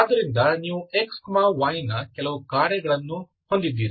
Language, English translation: Kannada, So that means x is the function of x, y